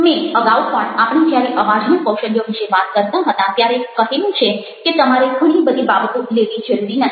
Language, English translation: Gujarati, as i told earlier, when we are talking about voice skills also, you don't need to take of too many things